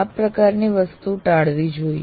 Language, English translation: Gujarati, So that should be avoided